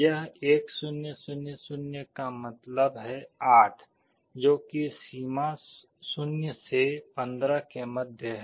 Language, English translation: Hindi, This 1 0 0 0 means 8, which is approximately the middle of the range 0 to 15